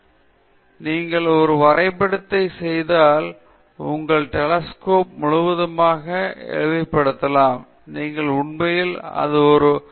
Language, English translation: Tamil, On the other hand, if you make a drawing, you can really, you know, simplify all the rest of your telescope and you really highlight your solar panels